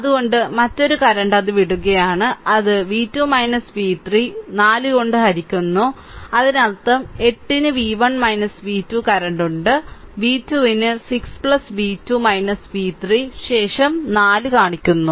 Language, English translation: Malayalam, So, another current it is also leaving that is v 2 minus v 3 divided by 4 right so; that means, v 1 minus v 2 upon 8 there is current is entering is equal to v 2 upon 6 plus v 2 minus v 3 upon 4 that show later